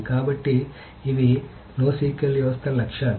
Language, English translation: Telugu, So these are the goals of the no SQL systems